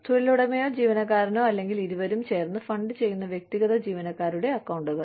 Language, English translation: Malayalam, Individual employee accounts, funded by the employer, the employee, or both